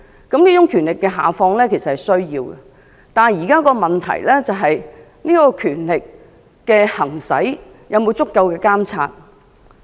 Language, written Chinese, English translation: Cantonese, 教育局下放權力是需要的，但現在的問題是，有關權力的行使有否足夠的監察？, While there is a need for the Education Bureau to devolve power the question now is whether there is sufficient supervision on the exercise of such power